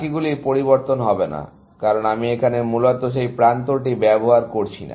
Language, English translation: Bengali, The rest will not change, because I am not using that edge here, essentially